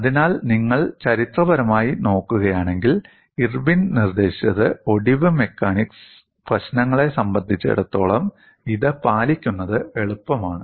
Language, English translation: Malayalam, So, if you look at historically, it was Irwin who suggested it is easier to deal with compliance, as for as fracture mechanics problems are concerned